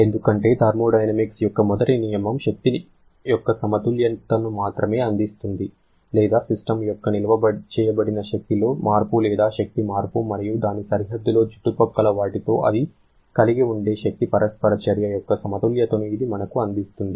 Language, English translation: Telugu, Because first law of thermodynamics provides only a balance of energy or I should say it provides you a balance of the energy change or change in the stored energy of the system and the energy interaction it can have with the surrounding across its boundary